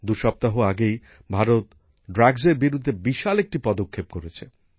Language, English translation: Bengali, Two weeks ago, India has taken a huge action against drugs